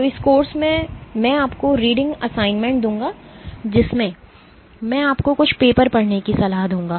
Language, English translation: Hindi, So, in this course I will give you reading assignments in which I would recommend you to read certain papers